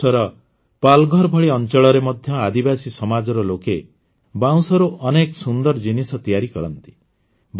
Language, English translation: Odia, Even in areas like Palghar in Maharashtra, tribal people make many beautiful products from bamboo